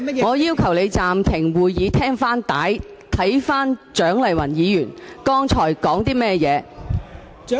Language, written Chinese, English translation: Cantonese, 我要求你暫停會議，翻看錄影紀錄，聽聽蔣麗芸議員剛才的言詞。, I request to suspend the meeting so as to review the video recordings and listen to the remarks that Dr CHIANG Lai - wan made just now